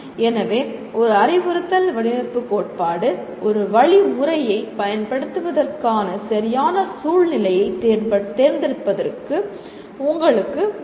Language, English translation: Tamil, So an instructional design theory will also kind of help you in choosing the right kind of situation for applying a method